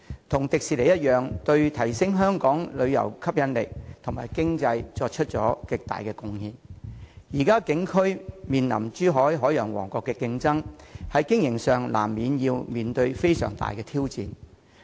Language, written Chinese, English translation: Cantonese, 海洋公園同樣對提升本港旅遊吸引力及經濟作出了極大貢獻，但由於它的景區現正面臨珠海長隆海洋王國的競爭，因此在經營上須面對極大挑戰。, Similar to Disney Ocean Park has also made great contribution to both the economy and enhancing Hong Kongs attractiveness as a tourist hotspot . However its operation is facing an severe challenge right now because of the emergence of Chimelong Ocean Kingdom in Zhuhai as a competitor to its theme zones